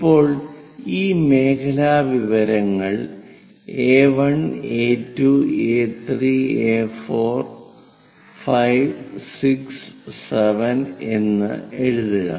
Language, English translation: Malayalam, Now, write down this sectorial information A1, A2, A3, A4, 5, 6, 7